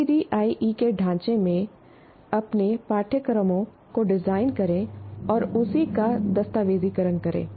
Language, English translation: Hindi, And design your courses in the framework of ADI and document the same